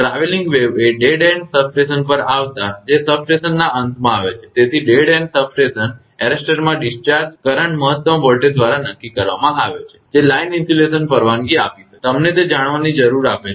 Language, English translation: Gujarati, For a traveling wave coming into a dead end station that is coming at the substation end so, dead end station the discharge current in the arrester is determined by the maximum voltage that the line insulation can allow, allow you know it